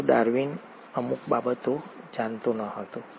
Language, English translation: Gujarati, But, Darwin did not know certain things